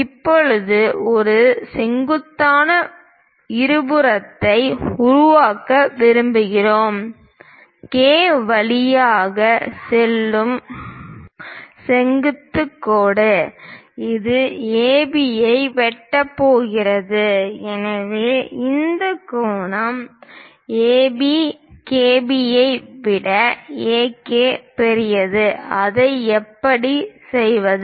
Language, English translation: Tamil, Now, what we would like to do is; construct a perpendicular bisector, perpendicular line passing through K, which is going to intersect AB; so that this angle is AB; AK is greater than KB; how to do that